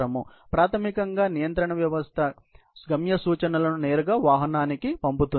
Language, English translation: Telugu, So, basically the control system sends the destination instructions directly, to the vehicle